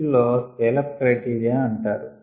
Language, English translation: Telugu, these are called scale up criteria